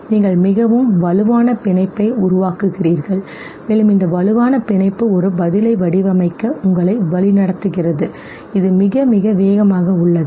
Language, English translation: Tamil, You form a very strong bond, and this strong bond leads you to design a response which also is extremely fast okay